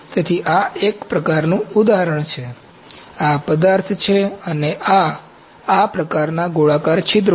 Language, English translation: Gujarati, So, this is kind of instance, this is the material and this is these are kind of spherical pores